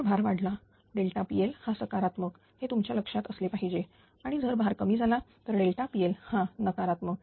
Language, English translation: Marathi, So, if load increases delta P L is positive this should be in your mind and if load decreases delta P L is negative, right